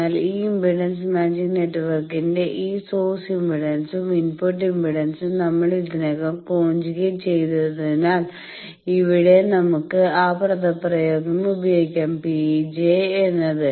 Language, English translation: Malayalam, So, what is the, but as we have already conjugately matched this source impedance and input impedance of this impedance matching network, there we can use that expression that P e will be